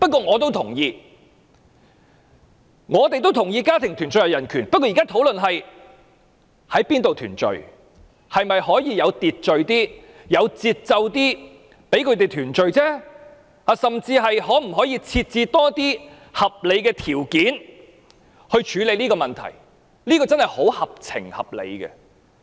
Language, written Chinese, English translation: Cantonese, 我也同意家庭團聚是人權，但現在討論的是在哪裏團聚，以及是否可以有秩序、有節奏一點讓他們團聚而已，甚至是否可以設置更多合理條件以處理這個問題，這真的非常合情合理。, I also agree that family reunion is a kind of human right but now we are discussing the place of reunion and whether reunion can be done in an orderly manner and at a reasonable pace and more reasonable conditions can even be laid down to deal with this issue . Our request is really rational and sensible indeed